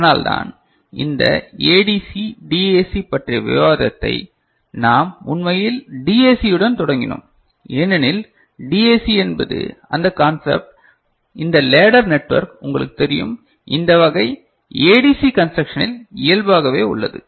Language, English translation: Tamil, That is why we actually started discussion of this ADC DAC with DAC because DAC is that concept, this ladder network is you know, inherent in this type of ADC construction right